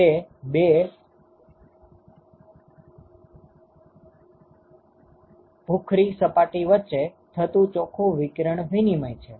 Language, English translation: Gujarati, So, that is the net radiation exchange between these two surfaces ok